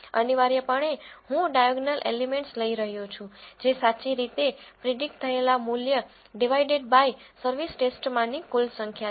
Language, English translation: Gujarati, Essentially, I am taking the diagonal elements that is the correctly predicted values divided by the total number of entries in the service test